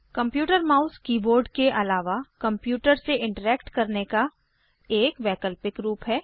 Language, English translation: Hindi, The computer mouse is an alternative way to interact with the computer, besides the keyboard